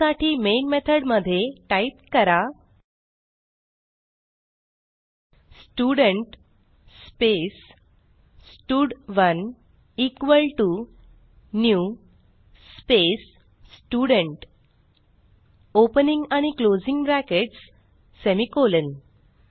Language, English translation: Marathi, For that, inside the main method, type Student space stud1 equal to new space Student opening and closing brackets, semicolon